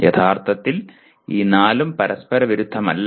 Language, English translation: Malayalam, Actually all these four are not mutually exclusive